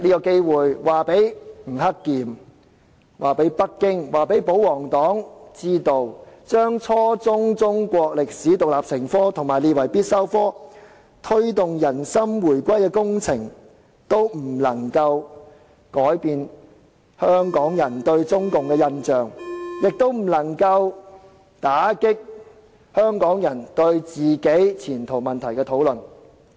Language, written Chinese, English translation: Cantonese, 我想告訴吳克儉、北京和保皇黨，規定初中中史獨立成科和將之列為必修科，以及推動"人心回歸工程"都不能改變香港人對中共的印象，也不能打擊香港人就前途問題進行討論。, I would like to tell Eddie NG the Beijing authorities and the royalists requiring the teaching of Chinese history as an independent subject at junior secondary level making the subject compulsory and promoting the heart - winning project cannot change Hong Kong peoples impression of CPC and cannot stop Hong Kong people from discussing the future